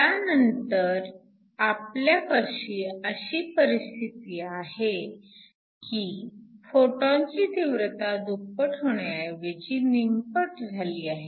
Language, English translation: Marathi, So, we now have a situation where instead of doubling the photon intensity reducing it by half